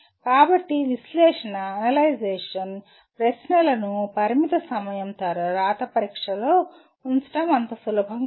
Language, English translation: Telugu, So it is not easy to put analyze questions right into limited time written examination